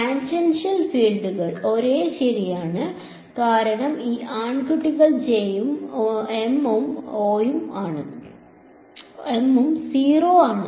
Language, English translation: Malayalam, Tangential fields are the same right, that is because these guys J s and M s are 0